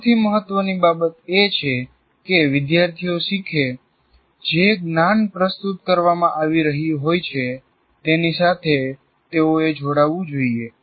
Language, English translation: Gujarati, And also, most important thing is for students to learn, they should engage with the knowledge that is being present